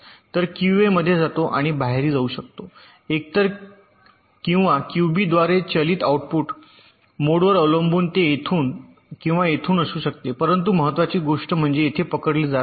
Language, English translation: Marathi, so in goes to q a and out can be driven by either in or q b output, depending on the mode, it can be either from here or from here, but the important thing is that in is getting captured here